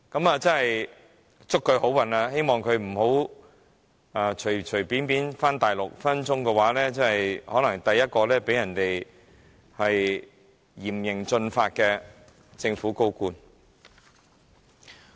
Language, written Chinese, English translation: Cantonese, 我真要祝他好運，他也不要隨便返回大陸，否則隨時可能成為首個面對嚴刑峻法的香港政府高官。, I must really wish him good luck . He must not return to the Mainland without any precaution or he may become the first senior government official of Hong Kong to face severe legal punishment